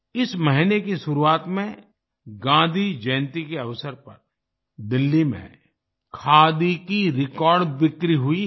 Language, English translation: Hindi, At the beginning of this month, on the occasion of Gandhi Jayanti, Khadi witnessed record sales in Delhi